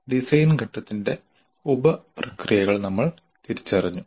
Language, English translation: Malayalam, We identified the sub processes of design phase